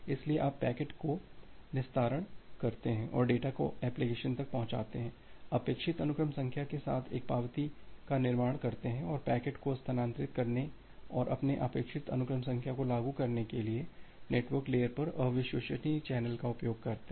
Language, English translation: Hindi, So, you extract the packet deliver the data to the application, construct an acknowledgement with the expected sequence number and use the unreliable channel at the network layer to transfer the packets and implement your expected sequence number